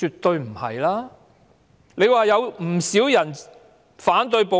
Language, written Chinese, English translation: Cantonese, 她說道，有不少人反對暴力。, She said a lot of people were against violence